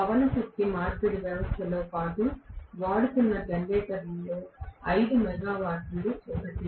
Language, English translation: Telugu, 5 megawatt is one of the generators that are being used along with wind energy conversion system